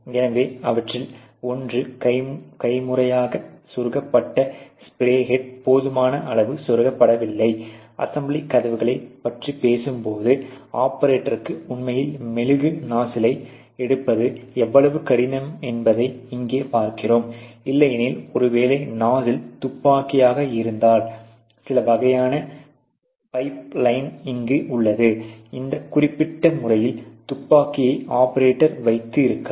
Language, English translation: Tamil, So, one of them is that the manually inserted spray head is not inserted enough; obviously, when you are talking about doors of assembly, and you see here how difficult it is for the operator to actually take a wax nozzles, which may be otherwise you know something like this with a probably a nozzle gun